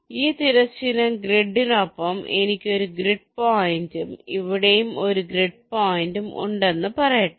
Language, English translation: Malayalam, let say, along the grid i have one grid point, let say here and one grid point here